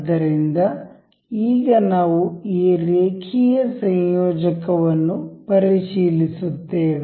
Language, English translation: Kannada, So, now, we will check this linear coupler